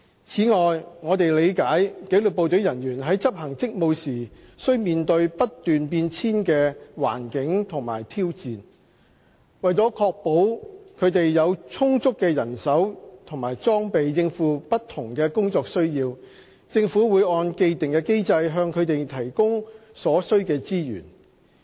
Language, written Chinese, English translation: Cantonese, 此外，我們理解紀律部隊人員在執行職務時需面對不斷變遷的環境和挑戰，為確保他們有充足的人手和裝備應付不同的工作需要，政府會按既定機制向他們提供所需的資源。, In addition we understand that disciplined services staff has to face ever - changing circumstances and challenges in performing their duties . To ensure that they have adequate manpower and equipment for meeting different operational needs the Government provides them with the required resources in accordance with the established mechanism